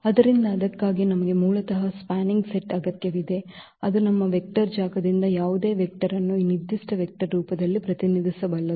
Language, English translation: Kannada, So, for that we need spanning set basically that can span any that can represent any vector from our vector space in the form of this given vector